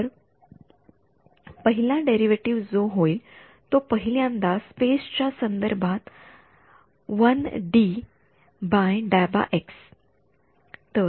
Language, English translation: Marathi, So, the first so the derivatives now will happen with respect to space first 1D by dx